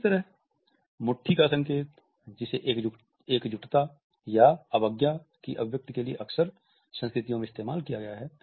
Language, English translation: Hindi, Similarly, the fist sign which has been often used across cultures is an expression of solidarity or defiance